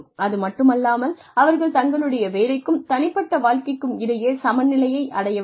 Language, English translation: Tamil, They also need to be, able to achieve a balance, between their work and personal lives